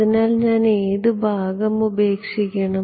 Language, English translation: Malayalam, So, I should drop out which part